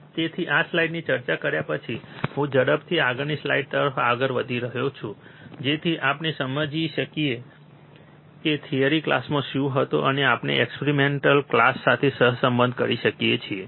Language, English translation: Gujarati, So, I am just quickly moving on the to the next slide after discussing this slide so that we understand what was the theory class and we can correlate with the experimental class